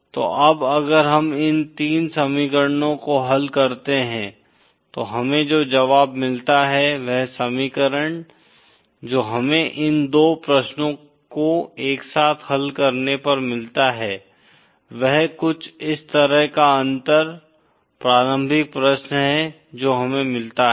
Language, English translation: Hindi, So now if we solve these 3 equations, the solution that we get, the equation that we get on solving these 2 simultaneously questions, the difference early question that we get is something like this